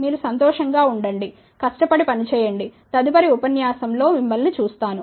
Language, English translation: Telugu, Enjoy yourself, work hard, will see you next time